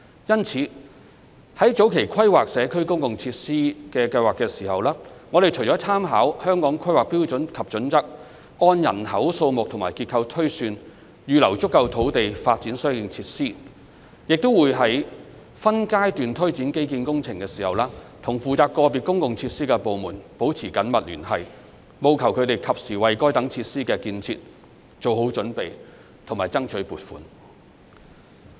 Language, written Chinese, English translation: Cantonese, 因此，在早期規劃社區公共設施計劃時，我們除參考《香港規劃標準與準則》，按人口數目和結構推算，預留足夠土地發展相應設施，亦會在分階段推展基建工程時，與負責個別公共設施的部門保持緊密聯繫，務求它們及時為該等設施的建設做好準備及爭取撥款。, In this light in the early stage of planning public facilities for a community we will reserve sufficient land for developing such facilities with reference to the Hong Kong Planning Standards and Guidelines and on the basis of the population size and structure projections . In parallel close contact will be maintained with departments responsible for individual public facilities in the course of implementation of the infrastructure projects concerned in phases so as to ensure the relevant preparation work is taken forward and the necessary funding approval is sought in a timely manner